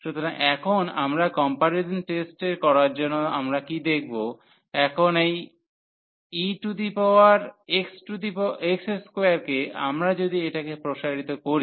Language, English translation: Bengali, So, here now to apply the comparison test what we observe, now that this e power x square if we expand this one